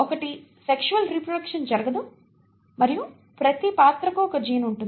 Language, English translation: Telugu, One, they do not undergo sexual reproduction and for every character they have one gene